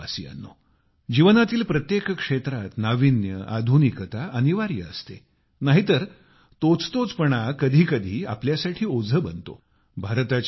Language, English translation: Marathi, Dear countrymen, novelty,modernization is essential in all fields of life, otherwise it becomes a burden at times